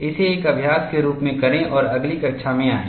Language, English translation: Hindi, Do this as an exercise and come to the next class